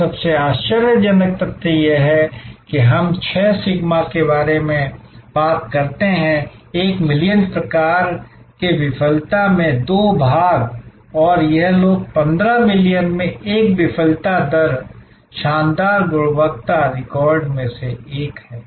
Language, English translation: Hindi, And the most amazing fact that we talk about six sigma, two parts in a million sort of failure rate and this people have one in 15 million failure rate, fantastic quality record